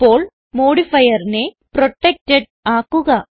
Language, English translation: Malayalam, Now let us change the modifier to protected